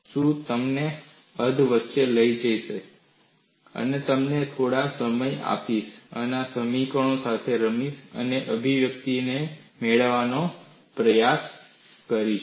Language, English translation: Gujarati, I would take you half a way, give you some time, and play with these equations, and try to get the expression